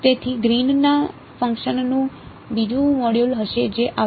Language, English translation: Gujarati, So, that will be a another module on Greens functions which will come to